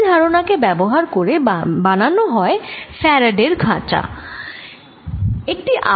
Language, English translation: Bengali, so this is also used to make something called a faraday's cage